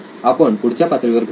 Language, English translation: Marathi, See you in the next module then